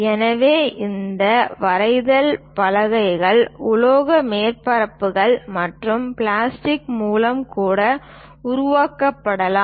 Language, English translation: Tamil, So, these drawing boards can be made even with metallic surfaces and also plastics